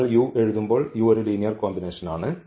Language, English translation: Malayalam, So, when we write down this u because u is a linear combination well correct